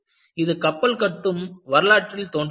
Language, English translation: Tamil, It appears in the history of ship building